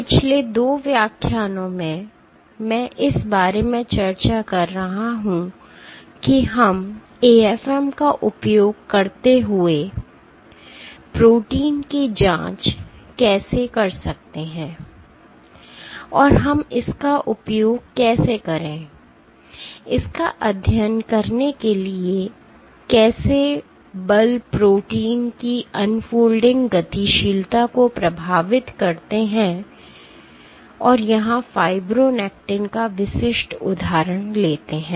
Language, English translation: Hindi, In last 2 lectures I have been discussing about, how we can probe protein unfolding using AFM and how we can use that for studying, how forces affect the unfolding dynamics of proteins and taking the specific example of fibronectin